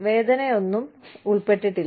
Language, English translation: Malayalam, There is no pain involved